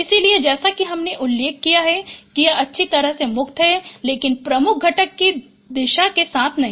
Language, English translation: Hindi, So as you mentioned, it is well separated but not along the direction of principal component